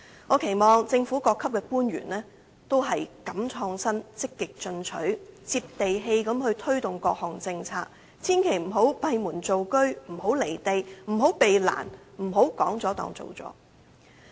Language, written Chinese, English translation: Cantonese, 我期望政府各級官員都敢於創新、積極進取、"接地氣"地推動各項政策，千萬不要閉門造車，不要"離地"，不要避難，不要說了便當做了。, I hope that government officials at all levels will be bold in innovation and adopt a proactive attitude . They should be down - to - earth in implementing policies but do not work behind closed doors . They should not be impractical or evade hardships and they should consider that the work is done by talk the talk